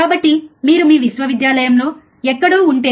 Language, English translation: Telugu, So, if you are somewhere in your university, right